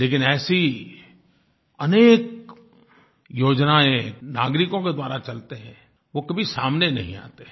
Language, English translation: Hindi, There are several such schemes and programmes that are run by citizens but these doesn't get our attention